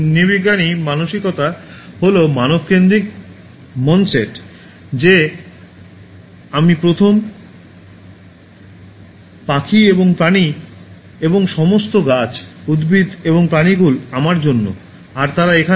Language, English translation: Bengali, Anthropocentric mindset is human centered mind set that I am first, the birds and animals and all trees, the flora and fauna they are here for me